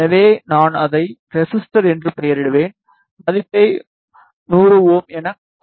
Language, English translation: Tamil, So, I will name it as resistor, and I will give the value as 100 ohm ok